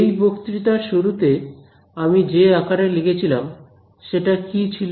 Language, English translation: Bengali, The form which I showed you at the start of the lecture was which form